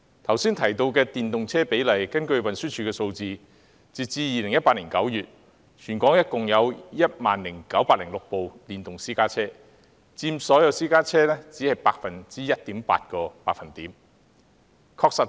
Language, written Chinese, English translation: Cantonese, 剛才提到的電動車比例，根據運輸署的數字，截至2018年9月，全港共有 10,906 輛電動私家車，佔所有私家車約 1.8%。, Regarding the proportion of electric vehicles mentioned just now according to the figures of the Transport Department there were 10 906 electric private cars in Hong Kong as at September 2018 making up around 1.8 % of all private cars